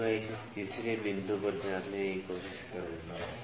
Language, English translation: Hindi, Now, I will try to check it at the third point